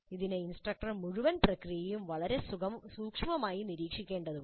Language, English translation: Malayalam, This requires very close monitoring the whole process by the instructor